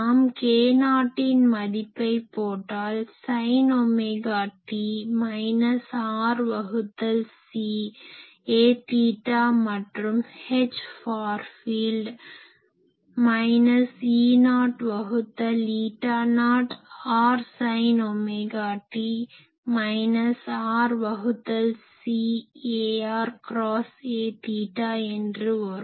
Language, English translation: Tamil, If we put k not value we can write sin omega t minus r by c a theta and H far field as minus E not by eta not r sin omega t minus r by c ar cross a theta